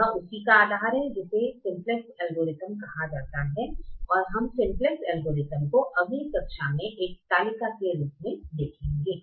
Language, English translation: Hindi, this is the bases of what is called the simplex algorithm, and we will see the simplex algorithm in the form of a table in the next class